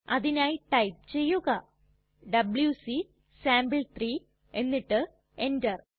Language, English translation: Malayalam, For that we would write wc sample3 and press enter